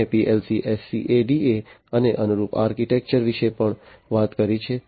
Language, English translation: Gujarati, I have also talked about PLC, SCADA and the corresponding architecture